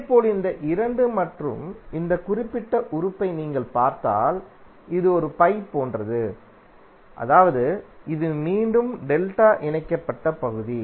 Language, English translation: Tamil, Similarly if you see these 2 and this particular element, it is like a pi, means this is again a delta connected section